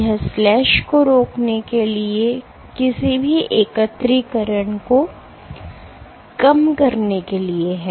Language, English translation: Hindi, This is to prevent slash minimize any aggregation